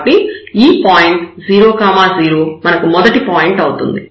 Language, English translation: Telugu, So, the first point remember it was 0 0